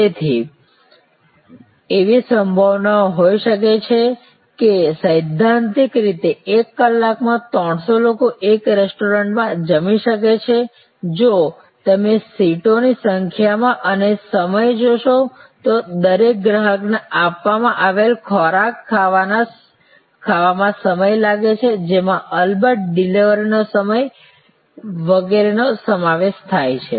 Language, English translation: Gujarati, So, there could be there is a possibility that theoretically 300 people can be feed in a restaurant in an hour, if you look at the number of seats and time it takes for each customer to consume the food provided including of course, the delivery time, etc